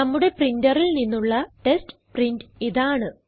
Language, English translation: Malayalam, Here is our test print from our printer